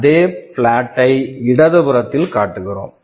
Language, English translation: Tamil, We show that same plot on the left